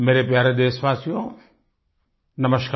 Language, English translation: Hindi, Hello my dear countrymen Namaskar